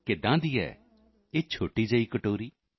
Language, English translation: Punjabi, What is this little bowl